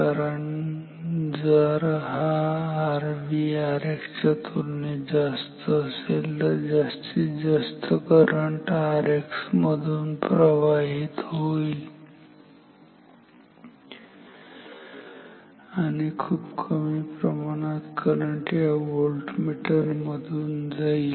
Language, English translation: Marathi, So, why compared to R X because if this R V is very high compared to R X then most of this current I will flow through R X and very little amount of current will go through this voltmeter